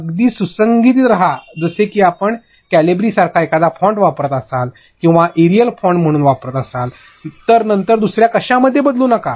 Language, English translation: Marathi, And also be very consistent like if you are using a certain font like your using Calibri or you are using Arial as the font, later do not change to something else